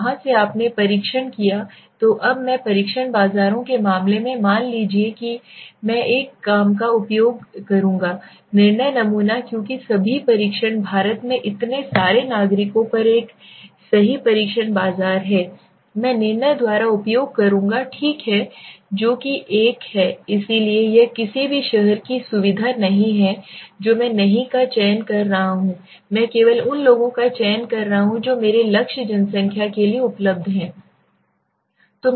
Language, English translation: Hindi, From there you tested so now I am using suppose in the case of test markets I will use a judgmental sampling because all the test so many citizens in India but to have a right test market I would use by judgment okay so which is the one so it is not convenience any cities not one I am selecting I am selecting only the ones which are fitting to my target population right